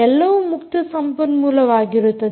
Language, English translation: Kannada, and everything is an open source